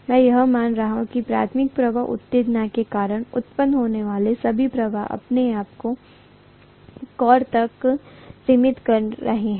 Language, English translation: Hindi, I am assuming that all the flux that is produced because of the primary winding’s excitation is confining itself to the core